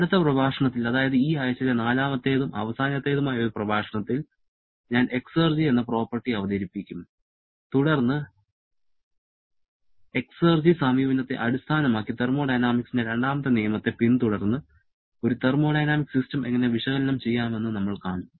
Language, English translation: Malayalam, And in the next lecture, which is going to fourth and last one for this week, I shall be introducing the property exergy and then we shall be seeing how to analyze a thermodynamic system following the second law of thermodynamics based upon the exergy approach